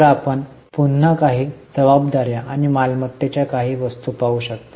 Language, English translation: Marathi, So, again you can see certain items of liabilities and certain items of assets